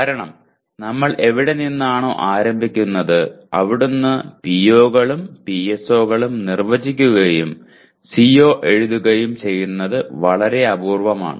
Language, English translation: Malayalam, Because we are starting from where we are and it is very rare that we define POs and PSOs and write COs